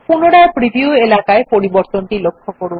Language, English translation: Bengali, Again notice the change in the preview window